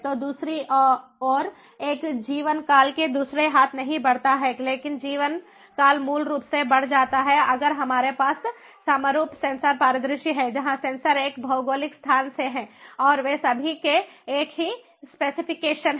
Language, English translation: Hindi, so life time, on the other hand, increases, not other hand, but lifetime basically increases if we have the homogenous sensor scenario where the sensors are from one geographic location and they all have the same specification